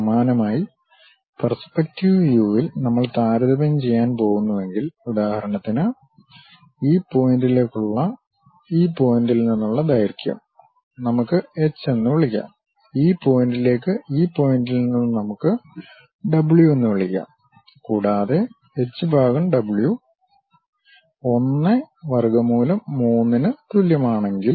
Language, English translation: Malayalam, Similarly in the perspective views if we are going to compare; for example, this point to this point let us call length h, and this point to this point let us call w and if h by w is equal to 1 over root 3